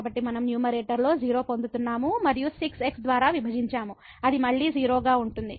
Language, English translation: Telugu, So, we are getting in the numerator and divided by which is again